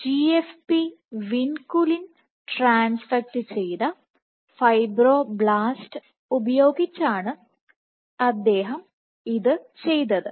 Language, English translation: Malayalam, So, this was done with GFP Vinculin transfected fibroblast